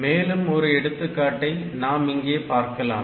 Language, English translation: Tamil, So, next we will look into another example